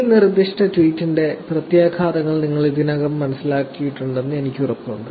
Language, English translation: Malayalam, I am sure you already understand the implications of this specific tweet